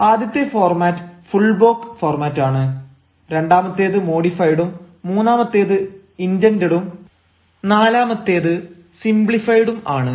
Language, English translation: Malayalam, now, the first format is a full block one, the second is a modified, the third is indented and the fourth is simplified